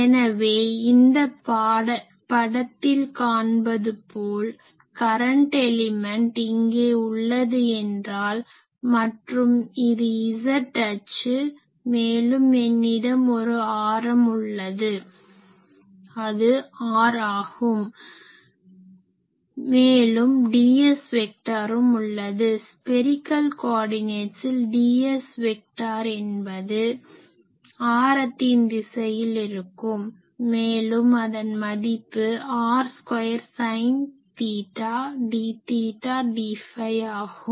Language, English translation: Tamil, So, you can see that this drawing is something like this I have the current element here and this is z axis and, I am having an radius so, that is r and on this there is a dS vector, we know these value of ds vector in case of spherical coordinate, it is radially directed and its value is r square sin theta d theta d phi